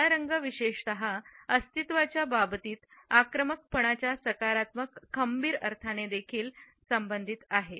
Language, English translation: Marathi, Black particularly is also associated with a positive sense of aggression in the sense of being assertive